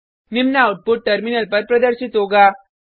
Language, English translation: Hindi, The following output will be displayed on the terminal